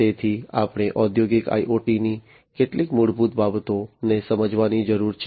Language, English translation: Gujarati, So, we need to understand some of the basics of Industrial IoT